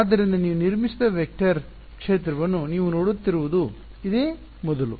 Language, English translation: Kannada, So, this is probably the first time you are looking at a vector field where which you have constructed right